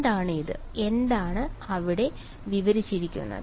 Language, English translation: Malayalam, What this, what there are described